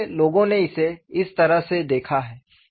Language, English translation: Hindi, So, this is the way people have looked at it